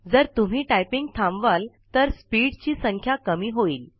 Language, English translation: Marathi, If you stop typing, the speed count decreases